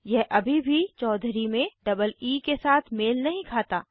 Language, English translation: Hindi, It still does not match choudhuree with double e